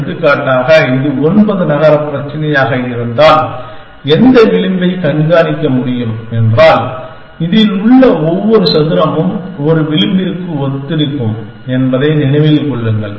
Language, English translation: Tamil, So, this is 1 to 9 and this is 1 to 9 for example, if it is a nine city problem and you could keep track of which edge that, remember that every square in this will correspond to an edge